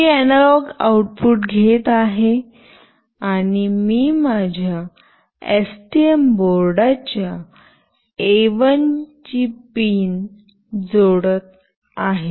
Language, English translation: Marathi, I will be taking the analog output and I will be connecting it to pin A1 of my STM board